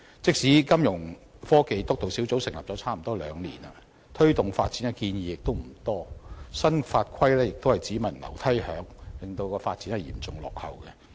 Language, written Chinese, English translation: Cantonese, 即使金融科技督導小組已成立差不多兩年，推動發展的建議亦不多，新法規亦是只聞樓梯響，令發展嚴重落後。, Even though the Steering Group on Financial Technologies has been established for almost two years there have been few proposals for promoting such development and the formulation of new laws and regulations has been all thunder but no rain . Consequently the development suffers a serious lag